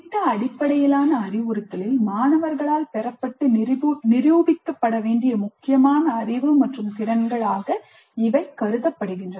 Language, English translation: Tamil, These are considered important knowledge and skills to be acquired and demonstrated by students in project based instruction